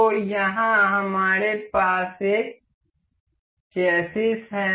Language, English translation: Hindi, So, here we have is a chassis